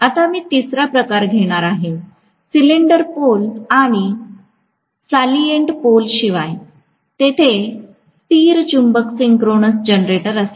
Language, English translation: Marathi, So, I am going to have the third type, apart from cylindrical pole, salient pole there can be permanent magnet synchronous generator